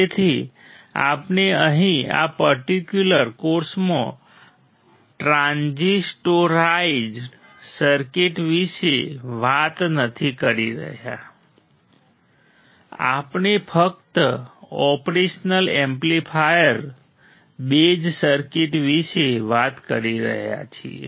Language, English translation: Gujarati, So, we are not talking about transistorized circuit here in this particular course, we are only talking about the operation amplifier base circuit